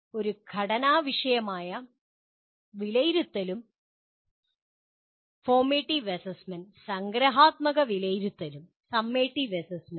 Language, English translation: Malayalam, A formative assessment and summative assessment